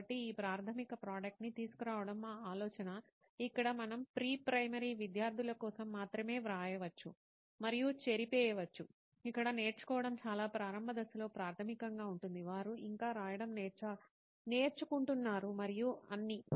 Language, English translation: Telugu, So our idea was to bring out this basic product where we can actually write and erase only for a pre primary students where learning is a very initial at a very initial stage basically, they still learning to write and all